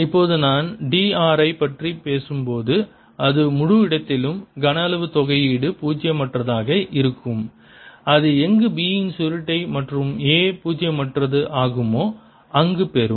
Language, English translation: Tamil, now you see it make sense when i talk about d r, which is the volume integral over the entire space, that it'll be non zero wherever curl of b is non zero and where are wherever a is non zero